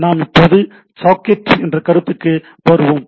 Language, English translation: Tamil, So, we come to a concept called socket